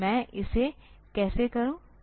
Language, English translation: Hindi, So, how do I do it